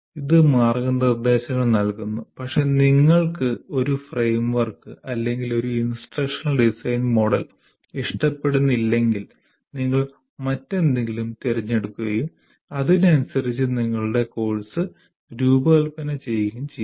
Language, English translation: Malayalam, It provides guidelines, but if you don't like one particular framework or one instructional design model as we call it, you choose something else and design your course according to that